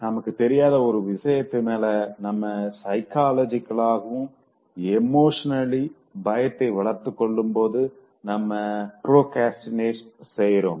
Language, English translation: Tamil, When we develop psychologically and emotionally fear for the unknown, we procrastinate